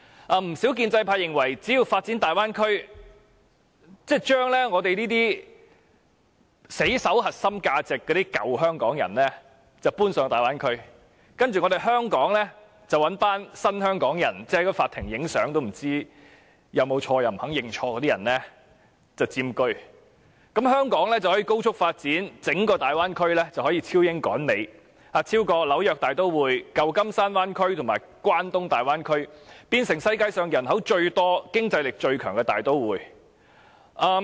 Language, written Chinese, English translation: Cantonese, 不少建制派議員認為，只要發展大灣區，將我們這些死守香港核心價值的舊香港人遷往大灣區，然後以"新香港人"——即在法庭拍照也不知道是否犯錯、不肯認錯的那些人——佔據香港，香港便可以高速發展，整個大灣區便可以超英趕美，超越紐約大都會、舊金山灣區和關東大灣區，成為世上人口最多、經濟力最強的大都會。, Many pro - establishment Members think that as long as old Hong Kong people like us who will defend Hong Kongs core values to the death can be relocated to the Bay Area after its development and new Hong Kong people―meaning those who do not know photographing in court violates the law and refuse to admit their fault―can occupy Hong Kong Hong Kong can develop rapidly and the entire Bay Area can surpass Britain and catch up with the United States overtake the New York metropolitan area the San Francisco Bay Area and the Tokyo Megalopolis Region and turn into a metropolis with the largest population and greatest economic strength in the world